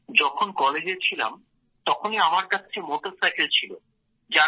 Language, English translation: Bengali, Sir, I had a motorcycle when I was in college